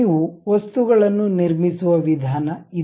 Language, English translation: Kannada, This is the way you construct the objects